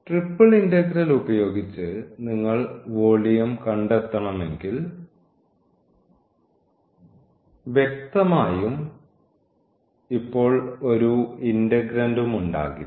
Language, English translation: Malayalam, So, the volume if you want to find using this triple integral so; obviously, there will be no integrand now